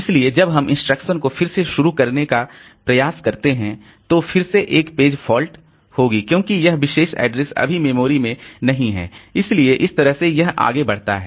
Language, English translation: Hindi, So, when we try to restart the instruction, then again there will be a page fault because the address is, this particular address is not there in the memory now